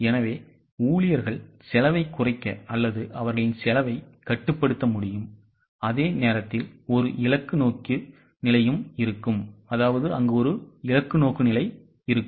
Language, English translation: Tamil, So, employees will be able to cut down on costs or control their costs and at the same time there will be a goal orientation